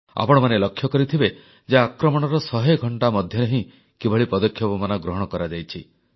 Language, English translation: Odia, You must have seen how within a hundred hours of the attack, retributive action was accomplished